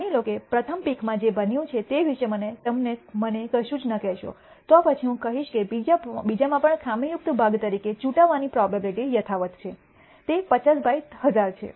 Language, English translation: Gujarati, Suppose you do not tell me anything about what happened in the first pick, then I will say that the probability of picking as defective part even in the second is unchanged it is 50 by 1,000